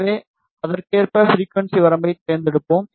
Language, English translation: Tamil, So, we will select the frequency range accordingly